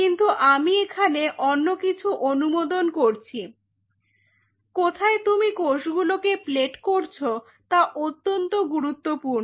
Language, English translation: Bengali, But what I will recommend here is something else where you are plating the cells that is important